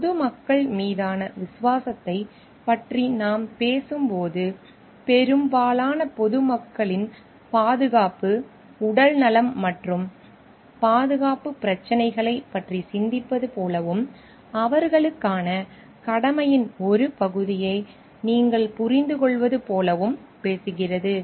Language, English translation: Tamil, When we are talking of loyalty towards the public at large, it talks of like thinking of the safety, health and security issues of the greater public at large and you understanding ones part of duty towards them